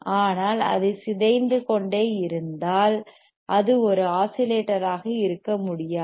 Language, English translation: Tamil, SoBut, if it is such decaying, it you cannot havebe an oscillator